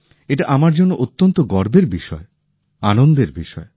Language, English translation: Bengali, For me, it's a matter of deep pride; it's a matter of joy